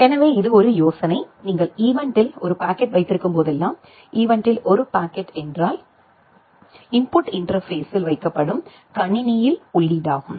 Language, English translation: Tamil, So, this is a the idea that whenever you have a packet in event; a packet in event means a packet is input to the system it is put into the input interface